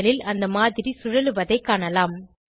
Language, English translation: Tamil, We can see that the model is spinning on the panel